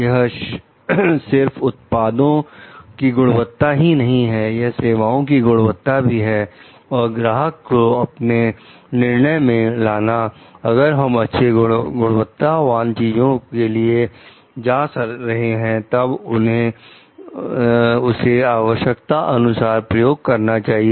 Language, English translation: Hindi, It is not only the quality of the product, it is also the quality of the service and taking the customers into our decision like if we are like going for like good quality things, then they have to use it in the way that is desired